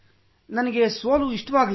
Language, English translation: Kannada, I didn't like the defeat